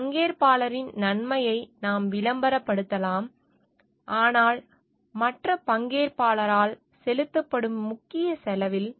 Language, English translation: Tamil, We may be promoting the benefit of one stakeholder, but at the major major cost paid by the other stakeholder